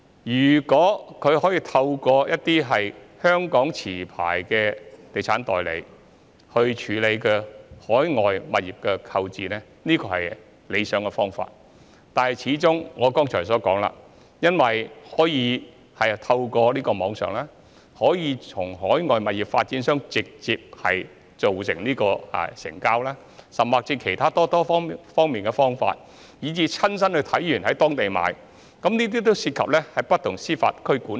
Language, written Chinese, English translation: Cantonese, 如果市民可以透過香港持牌地產代理來購買海外物業，這是理想的做法，但正如我剛才所說，市民可以透過網絡直接與海外物業發展商達成交易，甚至可以透過很多其他方法，例如親身到當地視察後才購買，這些均涉及不同的司法管轄區。, It would be desirable for members of the public to purchase properties situated outside Hong Kong through licensed estate agents in Hong Kong . But as I said just now the public can make a deal with overseas property developers direct through the Internet and even by many other ways such as paying a visit in person to inspect the property before buying it and all this involves different jurisdictions